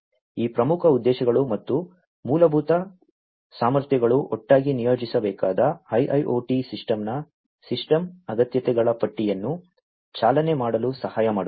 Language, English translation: Kannada, So, these key objectives plus the fundamental capabilities together would help in driving the listing of the system requirements of the IIoT system to be deployed